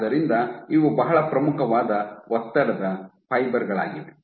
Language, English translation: Kannada, So, these are very prominent stress fibers